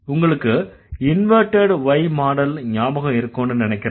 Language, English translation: Tamil, If you can remember the inverted Y model that we were talking about